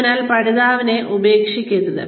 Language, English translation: Malayalam, So do not abandon the learner